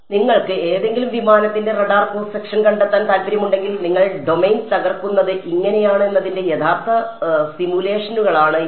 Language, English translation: Malayalam, So, these are actual simulations of you know if you want to find out the radar cross section of aircraft of something, this is how you would break up the domain